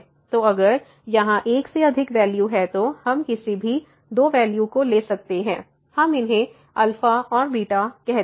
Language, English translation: Hindi, So, if it has more than root then we can take any two roots let us say alpha and beta